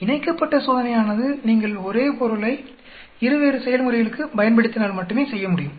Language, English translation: Tamil, Paired can be done only if you use the same subject for two different treatments